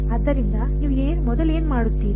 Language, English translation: Kannada, So, what would you first do